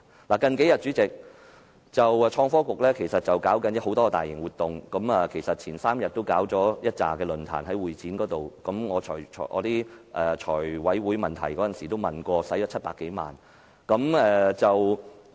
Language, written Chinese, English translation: Cantonese, 代理主席，創新及科技局這幾天正在舉行多項大型活動，前3天在會展舉行了多個論壇，我在財務委員會提問時問及所花費的700多萬元。, Deputy President the Innovation and Technology Bureau held a number of major events these few days and some forums were held at the Convention and Exhibition Centre over the past three days . I asked a question at a Finance Committee meeting about the expenditure of more than 7 million on these events